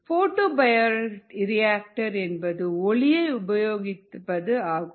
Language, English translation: Tamil, a photobioreactor means that it employees light